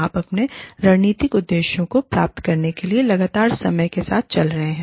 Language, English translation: Hindi, You are constantly keeping with the times, in order to achieve, your strategic objectives